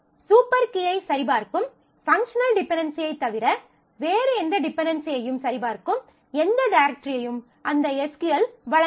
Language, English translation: Tamil, That SQL does not provide any directory of specifying or checking any dependency, other than the functional other than the functional dependency that checks the super key